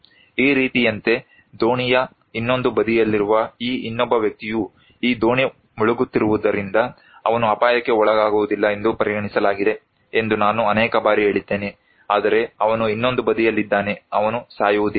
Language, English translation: Kannada, Like this one, I told maybe many times that this other person on the other side of the boat is considered that he is not at risk because this boat is sinking but he is in other side, he is not going to die